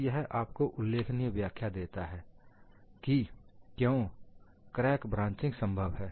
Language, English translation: Hindi, So, this gives you a possible explanation, why crack branching is possible